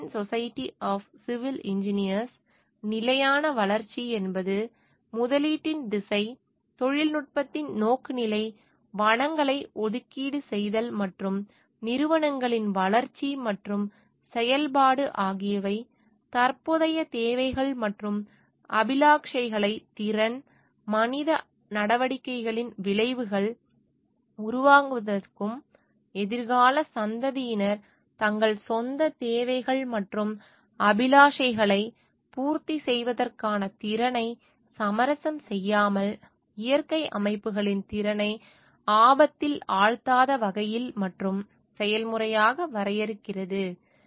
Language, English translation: Tamil, American Society of Civil Engineers define sustainable development as a process of change in which the direction of investment, the orientation of technology, the allocation of resources, and the development and functioning of institutions is directed to meet present needs and aspiration without endangering the capability capacity of the natural systems to absorb the effects of human activities, and without compromising the ability of future generations to meet their own needs and aspirations